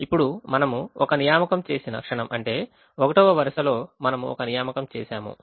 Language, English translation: Telugu, now, the moment we make an assignment, which means the first row, we have made an assignment